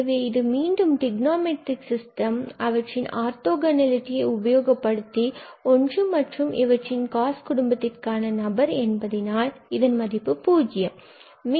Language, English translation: Tamil, So, this is again trigonometric from the trigonometric system and using orthogonality that be the one and this is a member of the cos family this will be 0